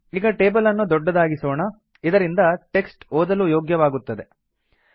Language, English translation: Kannada, Lets elongate the table so that the text is readable